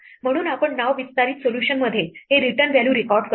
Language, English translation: Marathi, So, we record it is return value in the name extend solution